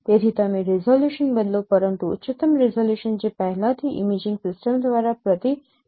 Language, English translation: Gujarati, So you vary the resolution but highest resolution that is already constrained by the imaging system